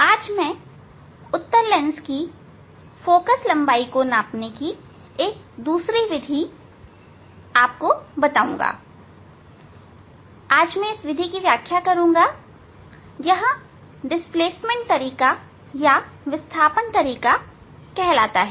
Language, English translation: Hindi, today, I will demonstrate another method for measuring the focal length of a convex lens, so that is a it is called displacement method